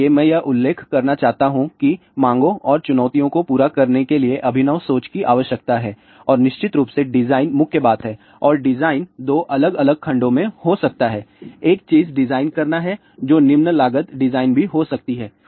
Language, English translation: Hindi, So, I would like to mention that there is a requirement for innovating thinking to meet the demands and challenges and design is of course, the key thing and the design can be in two different segments one thing is design would be which would be a low cost design